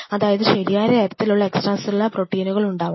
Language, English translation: Malayalam, I should have the right set of extra cellular matrix